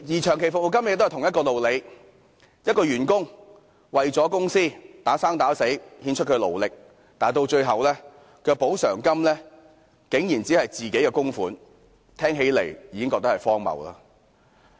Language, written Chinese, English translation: Cantonese, 長期服務金的情況亦然，員工為公司默默耕耘，獻出他的勞力，但最後所得的補償金竟然只餘自己供款的部分，聽起來也覺荒謬。, The same situation also applies to long service payments . Having quietly dedicated their efforts to their companies employees ultimately find that the compensation they finally received constitutes only their own contributions . How ludicrous!